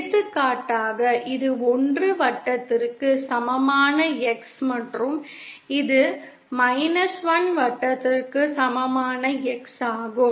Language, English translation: Tamil, For example, this is the X equal to 1 circle and this is the X equal to 1 circle